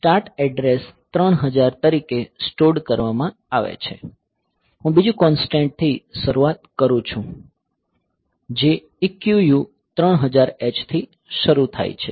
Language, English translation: Gujarati, So, the start address is stored to be 3000; so, I take another constant start which is starting to EQU 3000 h